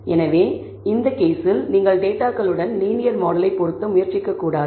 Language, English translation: Tamil, So, you should in this case you should not attempt to fit a linear model with the data